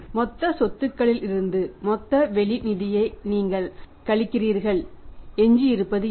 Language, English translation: Tamil, You subtract total outside funds from the total assets what is left over is that is called as net worth